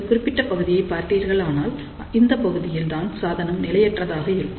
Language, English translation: Tamil, So, if you see this particular portion, this is the portion where the device is unstable